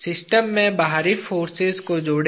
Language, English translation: Hindi, Add the external forces to the system